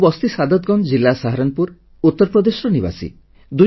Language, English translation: Odia, I live in Mohalla Saadatganj, district Saharanpur, Uttar Pradesh